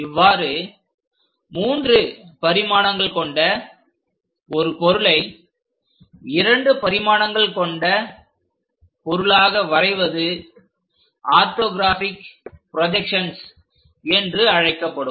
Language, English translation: Tamil, Such kind of 2 dimensional plots from 3 dimensional, we call as orthographic projections